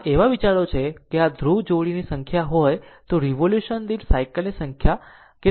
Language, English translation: Gujarati, This is the idea that if you have number of pole pairs is equal to number of cycles per revolution